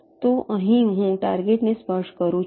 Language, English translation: Gujarati, so here i touch the target